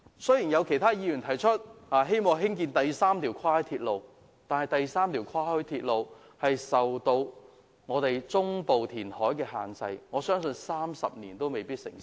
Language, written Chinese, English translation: Cantonese, 雖然有其他議員提出，希望興建第三條跨海鐵路，但此建議會受中部填海限制，相信30年內都未必成事。, Some other Members have requested for a third cross - harbour railway but as land reclamation is required in the central part the railway line may not be built even after 30 years